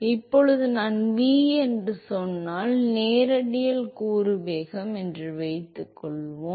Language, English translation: Tamil, Now, suppose if I say v is the radial component velocity